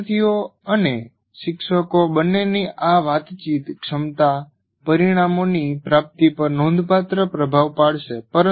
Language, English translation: Gujarati, So this communicative competence of both students and teachers will have a great influence on the attainment of outcomes